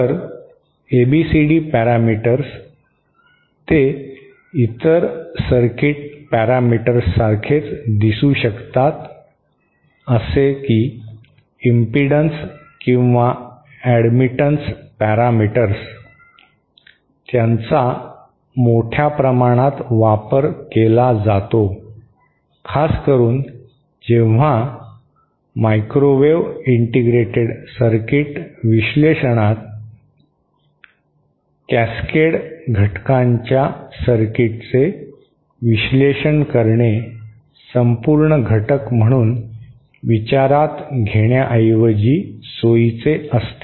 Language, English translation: Marathi, So ABCD parameters, they might look like any other circuit parameters like like the impedance or the admittance parameters, they are used quite extensively, especially when, since in microwave circuit analysis, it is convenient to analyse a circuit and terms of Cascade elements rather than considering the whole element as one